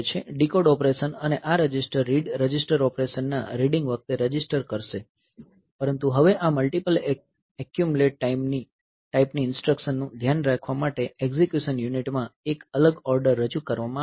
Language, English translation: Gujarati, A decode operation and this register read will perform the register at the reading the register operation and, but now a separate adder is introduced in the execution unit to take care of this multiply accumulate type of instructions